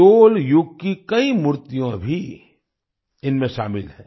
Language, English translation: Hindi, Many idols of the Chola era are also part of these